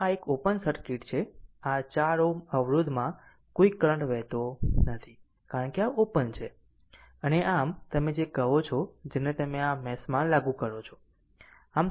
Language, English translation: Gujarati, So, the this is open circuit, so no current is flowing through this 4 ohm resistance, because this is open and therefore, you apply your what you call that KVL in this mesh